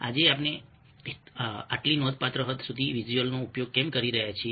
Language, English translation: Gujarati, why is it that we have making use of visuals today to such a significant extent